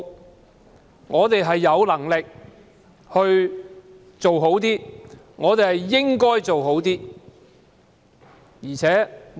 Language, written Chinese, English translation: Cantonese, 如果我們有能力做好一點，便應該這樣做。, We should do better if we have the ability to do so